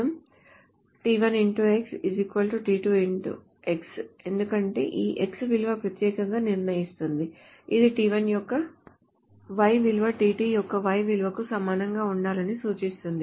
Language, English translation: Telugu, because these the x value uniquely determines this implies that the y value of t1 should be equal to the y value of t2 note that is it is of course not the other way around